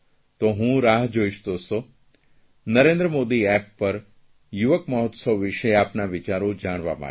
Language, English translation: Gujarati, So I will wait dear friends for your suggestions on the youth festival on the "Narendra Modi App"